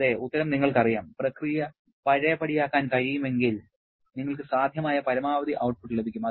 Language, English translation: Malayalam, Yes, you know the answer, if the process is reversible one; you are going to get the maximum possible work output